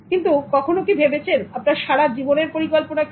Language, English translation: Bengali, But have you thought of what will be your lifetime plan